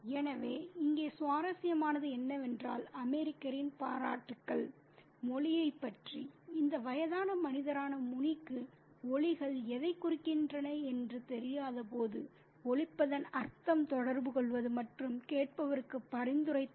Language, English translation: Tamil, So, what is interesting about the reaction of the American here is the appreciation of the language, the sounds of this old man, Muni, when he has no idea what the sounds mean, communicate and suggest to the listener